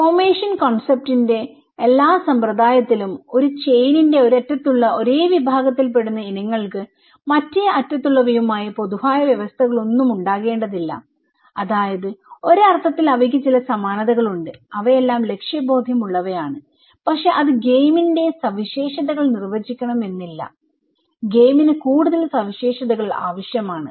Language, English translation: Malayalam, In all these system of concept of formation, items one end of the chain that constitute a category need not to have any conditions in common with those at the other end that means, that they all are in a sense and that they have some commonalities but and like they all are goal oriented okay but that is not only defining the characteristics of the game, game needs to be more characteristics